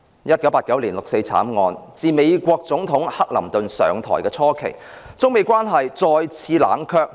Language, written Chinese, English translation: Cantonese, 1989年六四慘案，自美國總統克林頓上台初期，中美關係再次冷卻。, After the 4 June massacre and at the beginning of Bill CLINTONs tenure China - United States relationship became cool again